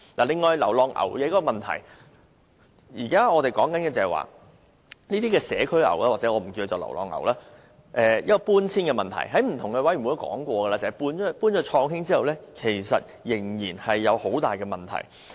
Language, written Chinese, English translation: Cantonese, 另外是流浪牛的問題，現時我們談論搬遷這些社區牛的問題，我們曾在不同委員會談過，將牠們遷到創興水上活動中心後，仍然有很多問題。, Another issue is about stray cattle . We are now discussing the relocation of these community cattle . We have discussed in various committees the problems that have arisen after the relocation of cattle to the Chong Hing Water Sports Centre